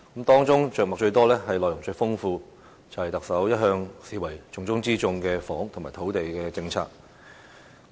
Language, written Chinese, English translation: Cantonese, 當中着墨最多、內容最豐富的是特首一向視為重中之重的房屋和土地政策。, Regarded as the top priorities by the Chief Executive all along the housing and land policies have been given the longest treatment and most comprehensive coverage